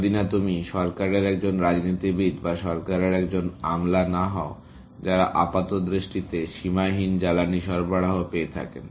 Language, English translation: Bengali, Unless you happen to be a politician in the government or a bureaucrat in the government, who get apparently unlimited fuel supplies